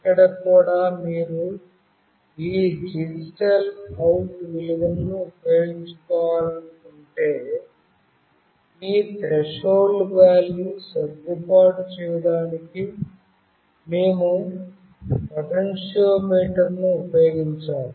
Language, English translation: Telugu, Here also if you want to use the this digital out value, then we have to use the potentiometer to adjust this threshold value